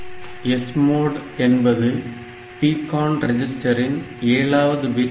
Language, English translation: Tamil, So, this SMOD is the bit 7 of the PCON register